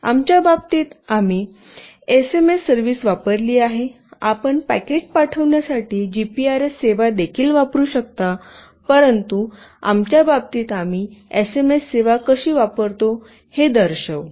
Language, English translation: Marathi, In our case, we have used SMS service; you can also use GPRS service for sending packet as well, but in our case we will show you how we can use SMS service